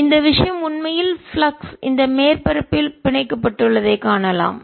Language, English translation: Tamil, now we can see that this thing is actually flux found by the surface